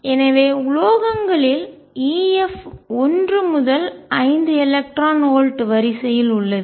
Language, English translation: Tamil, So, epsilon f in metals is of the order of one to 5 electron volts